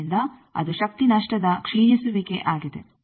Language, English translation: Kannada, So, that is the deterioration of the power loss